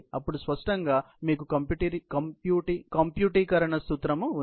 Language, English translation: Telugu, Then obviously, you have computerization principle